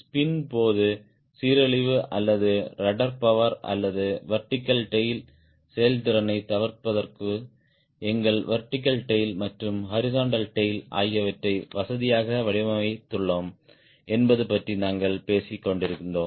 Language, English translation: Tamil, are you sure we have designed our vertical tail and horizontal tail comfortably enough to avoid degradation or runner power or vertical tail tail effectiveness during spin